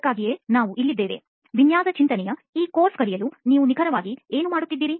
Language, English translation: Kannada, That is why we are here, to teach this course on design thinking, what exactly are you doing